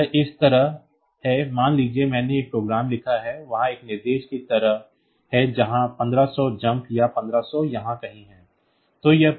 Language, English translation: Hindi, So, it is like this suppose I have written a program I have written a program and this program has got at it is it is ah; there is an instruction like jump 1500 here or 1500 is somewhere here